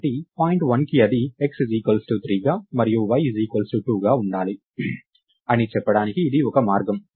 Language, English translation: Telugu, So, thats one way to say that point 1 should have it is x as 3 and y as 2